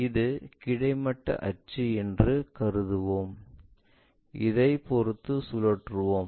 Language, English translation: Tamil, Let us consider this is our horizontal axis with respect to that we have rotated